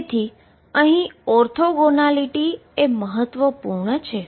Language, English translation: Gujarati, So, orthogonality here is important